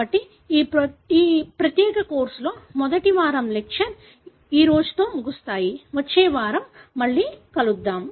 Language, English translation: Telugu, So, that pretty much ends the first week lectures on this particular course; we will meet you again next week